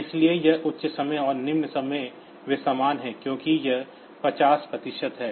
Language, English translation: Hindi, So, this high time and low time they are same since it is 50 percent